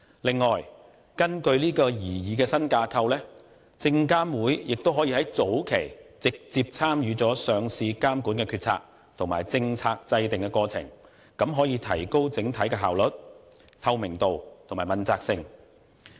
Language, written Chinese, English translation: Cantonese, 此外，根據擬議的新架構，證監會亦可以在早期直接參與上市監管的決策，以及政策制訂的過程，提高整體的效率、透明度和問責性。, Besides under the proposed new structure SFC will also be able to directly participate in the early decision - making stage concerning listing regulation and also in the policy formulation process . This can enhance the overall efficiency transparency and accountability